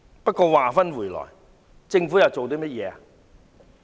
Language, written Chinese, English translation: Cantonese, 不過，話說回來，政府又做過甚麼呢？, But having said that what has the Government done?